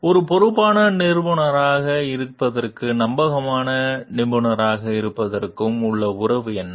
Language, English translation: Tamil, What is the relationship between being a responsible professional and being a trustworthy professional